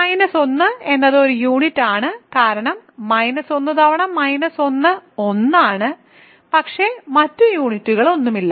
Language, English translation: Malayalam, So, minus 1 is a unit because minus 1 times minus 1 is 1, but there are no other units, right